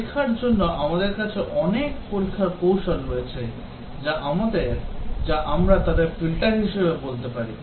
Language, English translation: Bengali, In testing we have many testing techniques we can call them as Filters